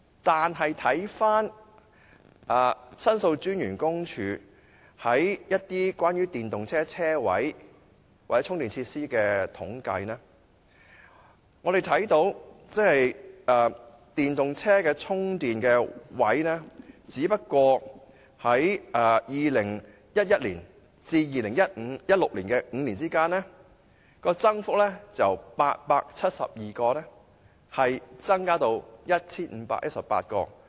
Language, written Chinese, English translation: Cantonese, 相比之下，根據申訴專員公署有關電動車車位或充電設施的統計，本港電動車充電器的數目僅在2011年至2016年的5年間，由872個增至 1,518 個。, In contrast according to a statistical survey conducted by the Office of The Ombudsman on the provision of parking spaces or charging facilities for electric vehicles in the five - year period from 2011 to 2016 the number of public chargers for electric vehicles in Hong Kong has only increased from 872 to 1 518